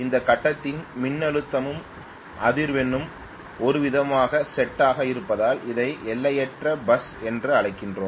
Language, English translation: Tamil, We call it as infinite bus because the voltage and the frequency of this grid are kind of set and stoned